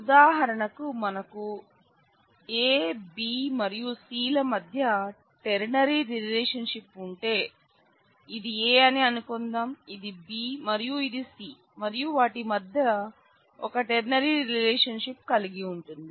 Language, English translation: Telugu, For example, if we have a ternary relationship between A B and C let us say this is a A this is B and this is C and we have a ternary relationship between them